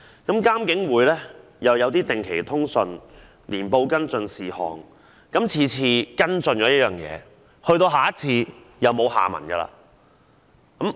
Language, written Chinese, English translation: Cantonese, 監警會亦定期發出通訊和年報跟進事項，但每次跟進的個案往往沒有下文。, IPCC also publishes periodic newsletters and annual reports to follow up on issues . But every case followed up will often see no further development